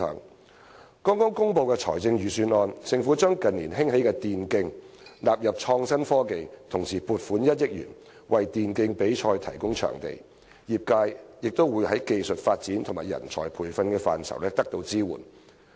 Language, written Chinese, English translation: Cantonese, 在剛剛公布的財政預算案中，政府將近年興起的電子競技納入創新科技，同時撥款1億元，為電競比賽提供場地，業界也會在技術發展和人才培訓等範疇得到支援。, In the recently announced Budget the Government has included e - sports which have become popular in recent years in the realm of IT and undertook to allocate 100 million to provide a competition venue for e - sports . Support will also be provided for the e - sports sector in areas such as technological development and talent nurturing